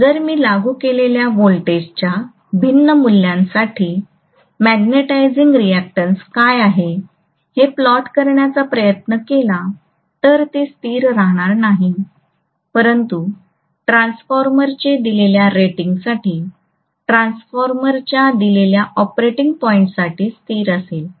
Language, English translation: Marathi, So if I try to plot what is the magnetising reactance for different values of applied voltages it would not be a constant it would be a changing but for a given rating of the transformer for a given operating point of the transformer Lm will be a constant, right